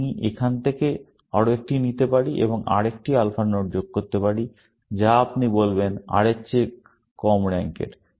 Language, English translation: Bengali, I can take still, one more from here, and add another alpha node, which you will say, rank less than R